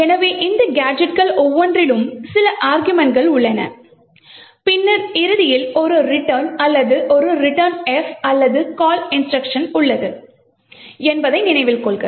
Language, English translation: Tamil, Okay, so note that the each of these gadgets has a few instructions and then has a return or a returnf or call instruction at the end